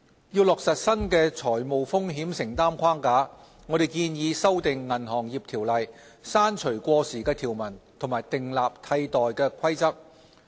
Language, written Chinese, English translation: Cantonese, 要落實新的財務風險承擔框架，我們建議修訂《銀行業條例》，刪除過時的條文和訂立替代規則。, To implement the new large exposures framework we have proposed amendments to the Ordinance to remove obsolete provisions and institute replacement rules